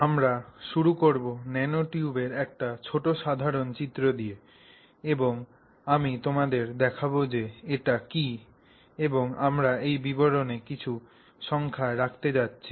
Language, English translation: Bengali, So, to begin with, we will start by, you know, a small rough diagram of what the nanotube is and I will show you what is it that we are going to do to put some numbers to this description